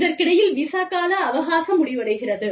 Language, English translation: Tamil, And, in the meantime, the visa expires